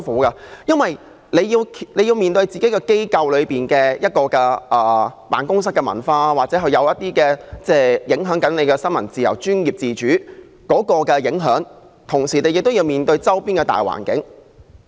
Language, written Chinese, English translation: Cantonese, 他們既要面對本身機構的辦公室文化，而這可能正在影響新聞自由和專業自主，同時亦要面對周邊的大環境。, They have to face the office culture of their news organizations which may be affecting freedom of the press and professional independence and at the same time they must also face the general environment